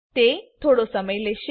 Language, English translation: Gujarati, It will take few minutes